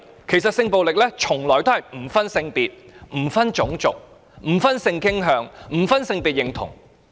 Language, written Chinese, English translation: Cantonese, 其實，性暴力從來不分性別、種族、性傾向及性別認同。, In fact when it comes to sexual violence there is no difference in term gender race sex orientation and gender identity